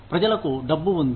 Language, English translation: Telugu, People have money